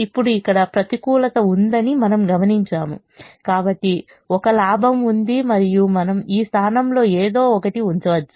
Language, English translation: Telugu, now we observe that there is a negative here, so there is a gain and we can put something in this position